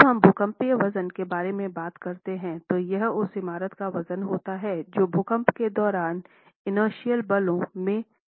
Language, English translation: Hindi, When we talk of seismic weight, it's the weight of the building that will participate in developing inertial forces during an earthquake